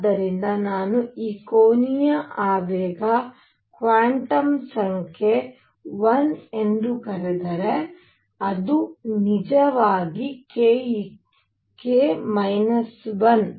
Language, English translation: Kannada, So, if I call this angular momentum quantum number l, it should be actually k minus 1